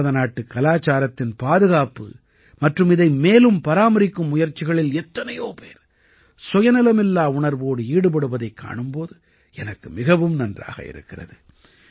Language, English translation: Tamil, I feel good to see how many people are selflessly making efforts to preserve and beautify Indian culture